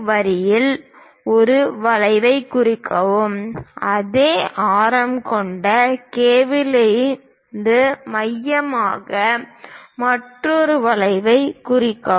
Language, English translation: Tamil, So, from K; mark an arc on AK line; with the same radius, from K as centre; mark another arc Q